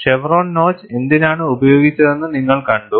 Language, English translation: Malayalam, You also saw, why chevron notch was used